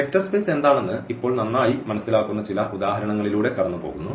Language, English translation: Malayalam, So, now we go through some of the examples where we will understand now better what is this vector space